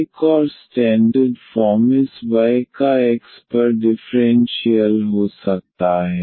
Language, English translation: Hindi, Another a standard form could be the differential of this y over x